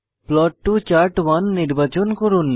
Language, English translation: Bengali, Select Plot to Chart1